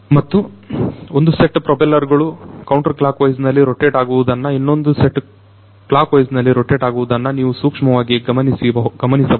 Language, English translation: Kannada, And, as you can also notice carefully that the one set of propellers is rotating counterclockwise the other set is rotating clockwise